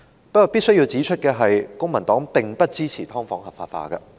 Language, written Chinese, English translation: Cantonese, 不過，我必須指出，公民黨並不支持"劏房"合法化。, However I must point out that the Civic Party does not support the legalization of subdivided units